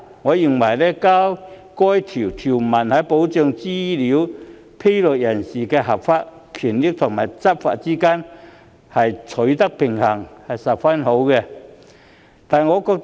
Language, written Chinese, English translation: Cantonese, 我認為，加入此條文，便能在保障資料披露人士的合法權益和執法之間取得平衡，實屬合宜。, By adding this provision I think a balance can be struck between protecting the legitimate rights and interests of data disclosers and law enforcement . It is indeed appropriate to do so